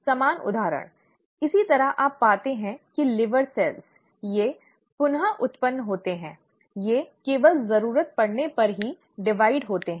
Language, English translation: Hindi, Same example, similarly you find that the liver cells, they regenerate, they divide only when the need is